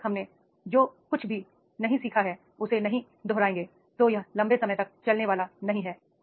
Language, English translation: Hindi, Unless and until whatever we have learned we do not repeat it, it will not be long lasting